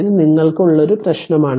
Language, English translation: Malayalam, So, this is a problem to you right